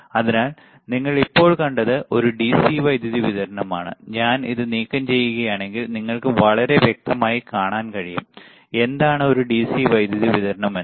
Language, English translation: Malayalam, So, you see here in front of me it is a DC power supply, if I remove this, you can see very clearly, what is there is a DC power supply